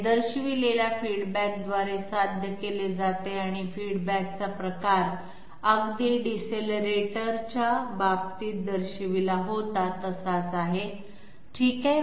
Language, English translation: Marathi, This is achieved by the feedback which has been shown and the type of feedback is exactly the one which was shown in case of decelerator, okay